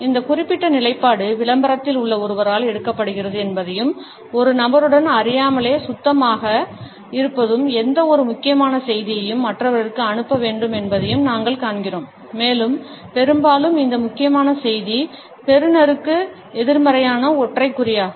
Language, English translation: Tamil, We also find that this particular position is taken up by a person in advert and clean unconsciously with a person has to pass on any important message to others, and often this important message suggests something negative to the receiver